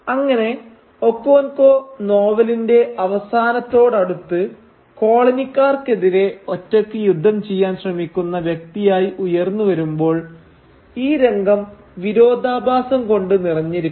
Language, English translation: Malayalam, Thus when near the end of the novel Okonkwo emerges as the person who single handedly attempts to wage war against the coloniser, the scene is filled with irony